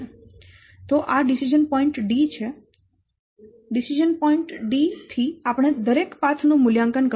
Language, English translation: Gujarati, From decision point D, we have to evaluate the, we have to assess each path